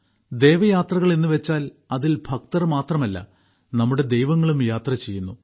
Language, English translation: Malayalam, Dev Yatras… that is, in which not only the devotees but also our Gods go on a journey